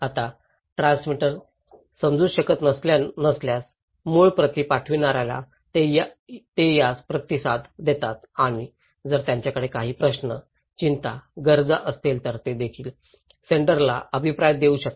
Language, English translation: Marathi, Now, if the transmitter cannot understand, they feedback this one to the original senders, and also the receivers if they have some questions, concerns, needs, they can also give feedback to the senders